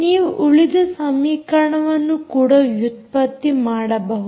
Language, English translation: Kannada, ah, you can derive other equations also